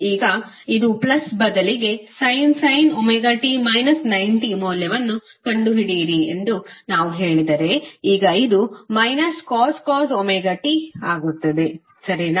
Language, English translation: Kannada, Now instead of plus if we say that find out the value of omega t minus 90 degree, now this will become minus of cos omega t, right